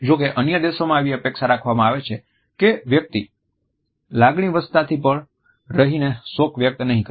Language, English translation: Gujarati, However, in other countries it is expected that a person will be dispassionate and not show grief